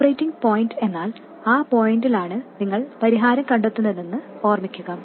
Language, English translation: Malayalam, Remember, operating point is some point for which you find the solution